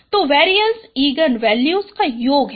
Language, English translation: Hindi, So variance is the sum of eigenvalues